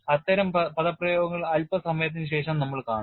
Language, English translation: Malayalam, We would see such expressions a little while later